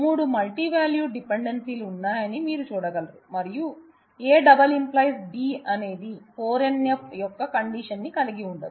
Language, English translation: Telugu, So, there are three multivalued dependencies and you can see that, A multi determining B is not does not is not who does not hold the condition of 4 NF